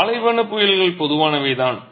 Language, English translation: Tamil, Desert storms are common